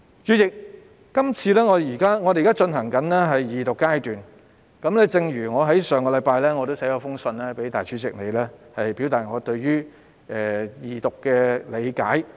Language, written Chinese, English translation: Cantonese, 主席，本會現正進行二讀辯論，而我在上星期亦曾致函立法會主席你，表達我對於二讀的理解。, President the Second Reading of the Bill by the Council is now in progress . Last week I wrote to you the President of the Legislative Council to express my understanding of Second Reading